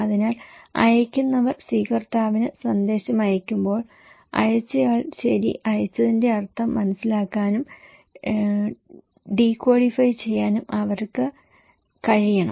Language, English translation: Malayalam, So, when senders are sending message to the receiver, they should able to understand and decodify the meaning that sender sent okay